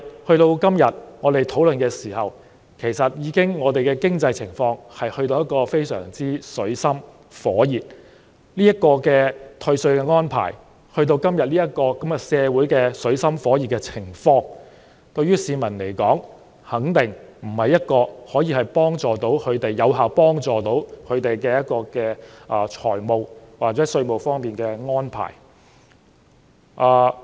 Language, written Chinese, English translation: Cantonese, 可是，我們現在討論這項修正案的時候，香港的經濟情況已到了水深火熱的時候，這項退稅安排在今天社會處於水深火熱的情況，對市民來說肯定不是一項有效幫助他們的財務或稅務方面的安排。, However when we are now discussing the amendments the economic condition of Hong Kong is already in deep water and scorching fire . Under the present situation when the community is in dire straits this tax rebate arrangement is definitely not an effective measure in meeting the financial or taxation needs of the public